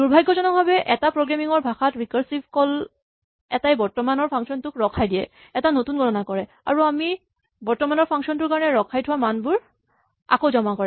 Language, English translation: Assamese, Now, unfortunately a recursive call in a programming language involves suspending the current function, doing a new computation and then, restoring the values that we had suspended for the current function